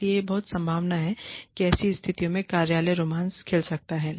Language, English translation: Hindi, So, it is very likely that, office romance, may blossom in such situations